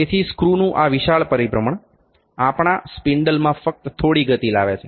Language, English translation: Gujarati, So, this large rotation large rotation of screw; only brings small movement in our spindle